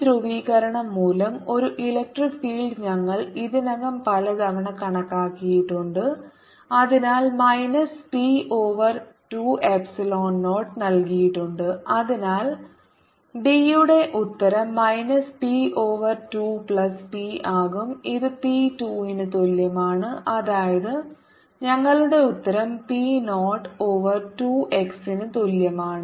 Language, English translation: Malayalam, an electric field due to this polarization is given as minus p over two, epsilon zero, and therefore the answer for d is going to be minus p over two, plus p which is equal to p over two